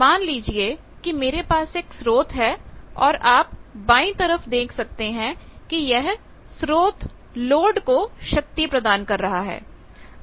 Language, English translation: Hindi, Now, this is the general thing that supposes I have a source, at the left hand side you are seeing and that source is delivering power to the load